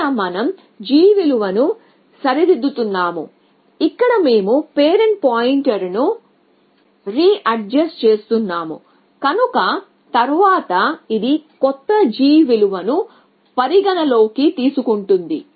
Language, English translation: Telugu, So, this is where we are readjusting the g value, this is where we are readjusting the parent pointer and then this of course, taking into account the new g value